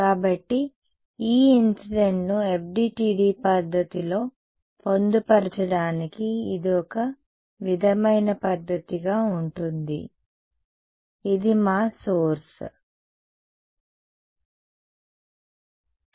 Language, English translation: Telugu, So, this is going to be the sort of method to get E incident into the FDTD method to incorporate right which is our source ok